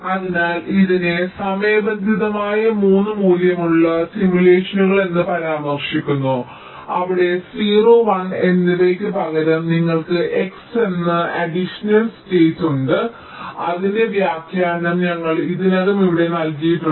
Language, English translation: Malayalam, so this is referred to as timed three valued simulation, where instead of zero and one you have an additional state called x, whose interpretation we have already seen here